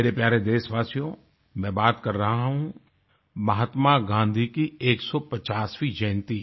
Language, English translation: Hindi, My dear countrymen, I'm referring to the 150th birth anniversary of Mahatma Gandhi